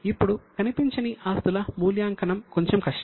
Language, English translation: Telugu, Now, valuation of intangible assets is bit difficult